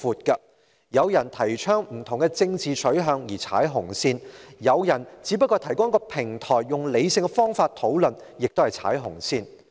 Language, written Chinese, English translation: Cantonese, 有人提倡不同的政治取向，被視為是踩"紅線"；有人只是提供一個平台，讓人以理性方法討論，同樣是踩"紅線"。, Some people are regarded as stepping on the red line when they advocate different political stances while some are regarded as stepping on the red line when they provide a forum for rational discussion